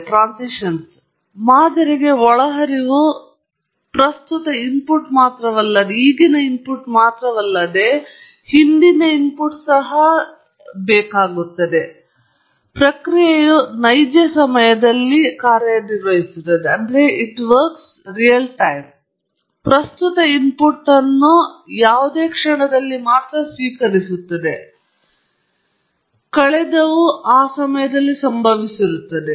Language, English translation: Kannada, So, the inputs to the model are not only the present input but also the past; whereas the process is operating in real time, and it keeps receiving only the present input at any instant; the past has occurred but at that time